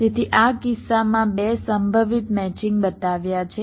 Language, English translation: Gujarati, so in this case i have showed two possible matchings